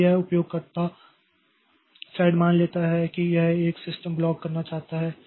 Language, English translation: Hindi, So, whenever this user level thread, so this user thread suppose it wants to make a system call